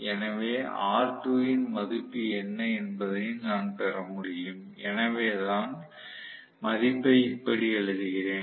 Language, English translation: Tamil, So, I should be able to get what is the value of r2 so that so let me write the value like this